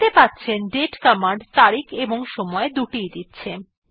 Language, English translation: Bengali, As we can see the date command gives both date and time